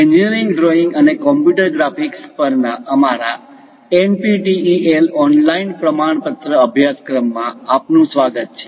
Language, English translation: Gujarati, Hello all, welcome to our NPTEL online certification courses on Engineering Drawing and Computer Graphics